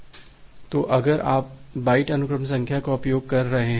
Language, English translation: Hindi, So, if you are using byte sequence numbers